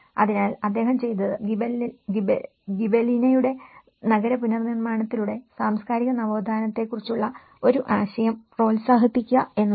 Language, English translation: Malayalam, So, what he did was he promoted an idea of the cultural renaissance through the urban reconstruction of Gibellina